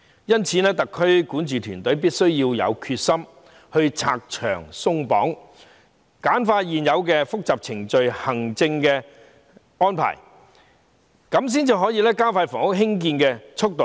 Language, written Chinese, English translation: Cantonese, 因此，特區管治團隊必須有決心拆牆鬆綁，簡化現有的複雜程序和行政安排，這樣才能加快興建房屋的速度。, Therefore the SAR governing team must have the determination to remove barriers and streamline the existing complicated procedures and administrative arrangements in order to speed up the construction of housing